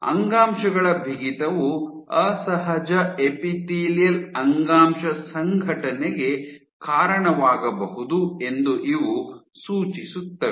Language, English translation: Kannada, So, these suggest that your tissue stiffness could contribute to aberrant epithelial tissue organization